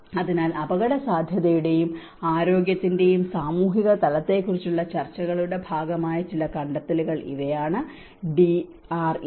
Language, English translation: Malayalam, So, these are some of the findings I mean which was a part of the discussions on the social dimension of risk and health and DRM